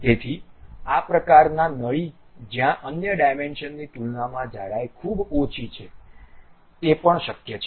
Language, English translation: Gujarati, So, this kind of ducts where the thickness is very small compared to other dimensions can also be possible